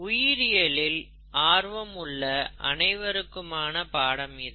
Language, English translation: Tamil, This is for anybody who has an interest in biology